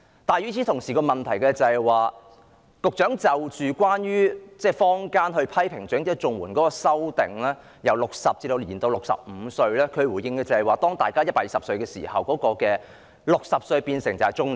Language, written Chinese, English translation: Cantonese, 但與此同時，問題是對於坊間批評針對長者綜援的修訂，把申請年齡由60歲延至65歲，局長的回應是當大家有120歲壽命時 ，60 歲便是中年。, But at the same time the problem is in response to the publics criticism on the amendment of raising the age threshold for eligibility for elderly CSSA from 60 to 65 the Secretary remarked that when people have a life expectancy of 120 years being 60 years old is just reaching middle - aged